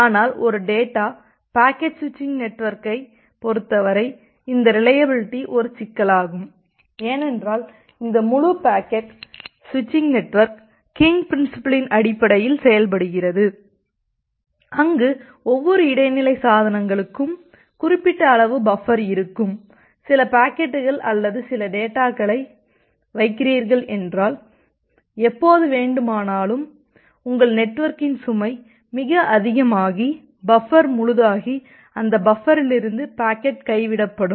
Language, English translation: Tamil, But in case of a data packet switching network, this reliability is an issue, because this entire packet switching network is working on the basis of king principle where as I was mentioning the last class that every intermediate devices has certain fixed amount of buffer and whenever you are putting certain packets into that or certain data into that and if your network load is too high, it may happen that the buffer becomes full and packet starts getting dropped from that buffer